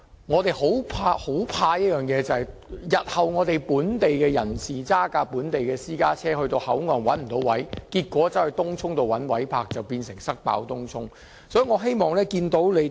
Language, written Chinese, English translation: Cantonese, 我們擔心，當日後本地人士駕駛本地私家車到口岸但卻沒有泊車位時，他們便須前往東涌尋找泊車位，結果"塞爆"東涌。, We are concerned that if local people driving their local private cars cannot find any parking spaces at the Hong Kong Port they must go to Tung Chung instead and look for parking spaces there . This may cause serious traffic congestion in Tung Chung